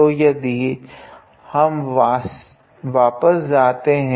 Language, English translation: Hindi, So, if we go back